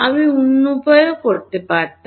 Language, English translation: Bengali, I could have done at the other way also